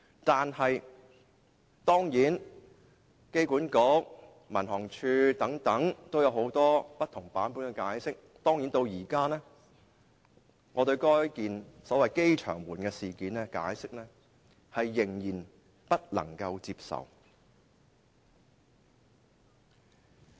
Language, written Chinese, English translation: Cantonese, 當然，香港機場管理局和民航處對事件均有不同版本的解釋，但至今我對該宗所謂"機場門事件"的解釋仍然不能接受。, Certainly the Hong Kong Airport Authority and the Civil Aviation Department have offered different explanations about the incident yet I still consider the explanations for the airport - gate incident unacceptable